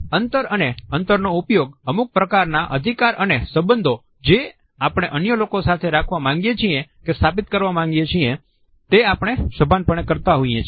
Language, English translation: Gujarati, Spacing and distances are also used consciously to establish certain messages regarding authority as well as relationships, which we want to have with others